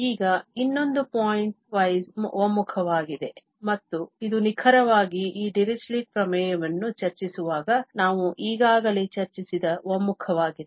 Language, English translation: Kannada, Now, the another one is the pointwise convergence and this is precisely the convergence which we have already discussed while discussing this Dirichlet theorem